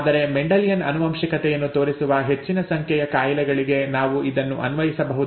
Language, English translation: Kannada, We cannot apply it blindly to everything but we can apply it to large number of diseases that show Mendelian inheritance, okay